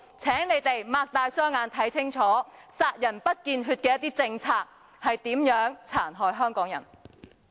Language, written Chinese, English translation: Cantonese, 請你們睜開眼睛看清楚，殺人不見血的一些政策如何殘害香港人。, Please open your eyes wide to see clearly how these policies which destroyed the people in subtle means have harmed the Hong Kong people cruelly